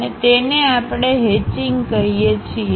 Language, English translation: Gujarati, And that is what we call hatching, hatch